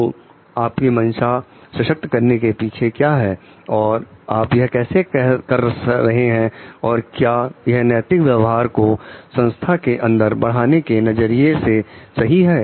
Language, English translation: Hindi, So, what is your intention behind the empowerment and how you are doing it is and important in terms of like promoting ethical behavior in the organization